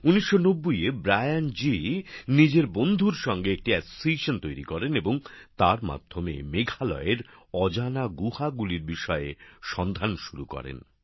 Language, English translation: Bengali, In 1990, he along with his friend established an association and through this he started to find out about the unknown caves of Meghalaya